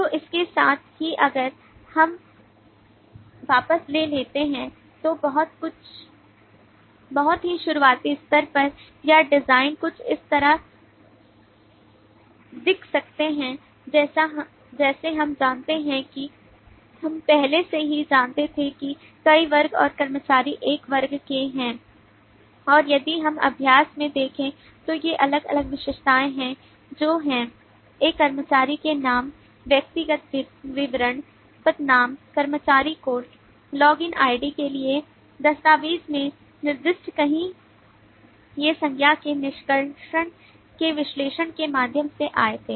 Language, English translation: Hindi, so with that if we take back then some more at a very early level or design could look something like this we know we already knew that there are several classes and employee is a class and if we look into the exercise these are different attributes which are specified somewhere in the document for an employee name, personal details, designation, employee code, login id these came up through the analysis of extraction of noun